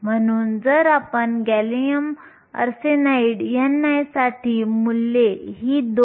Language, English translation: Marathi, So, if you write the values for gallium arsenide n i is 2